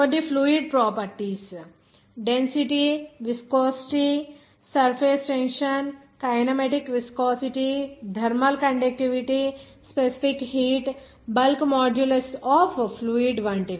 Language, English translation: Telugu, Even, some fluid properties: density, viscosity, surface tension, kinematic viscosity, thermal conductivity, specific heat, even bulk modulus of the fluid, like that